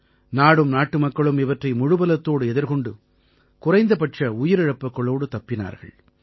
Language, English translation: Tamil, The country and her people fought them with all their strength, ensuring minimum loss of life